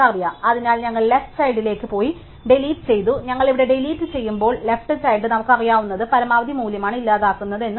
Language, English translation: Malayalam, So, we go the left child and deleted are remember that when we deleted here, the left child we have deleting what we know is the maximum value